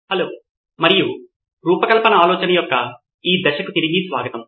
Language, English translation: Telugu, Hello and welcome back to the next stage of design thinking